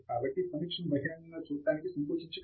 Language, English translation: Telugu, So, feel free to openly look at the review